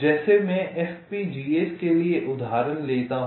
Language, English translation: Hindi, let me take an example for fbgas